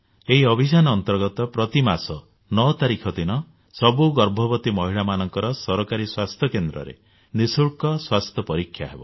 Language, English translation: Odia, Under this, on the 9th of every month, all pregnant women will get a checkup at government health centers free of cost